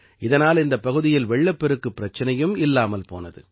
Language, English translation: Tamil, This also solved the problem of floods in the area